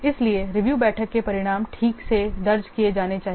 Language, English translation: Hindi, So the results of the review meeting they should be properly recorded